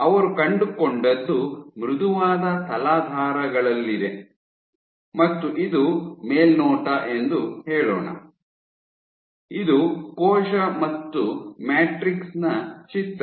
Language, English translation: Kannada, So, what she found was on soft substrates, let say this is this top view, this is a picture of a cell and here the matrix